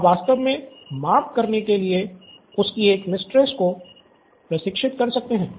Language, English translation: Hindi, So, you could actually train one of his mistresses to do the measurement